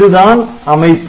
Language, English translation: Tamil, So, this is the structure